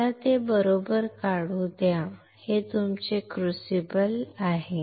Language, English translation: Marathi, Let me draw it correctly, this is your crucible